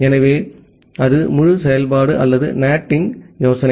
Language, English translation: Tamil, So, that is the entire operation or the idea of NAT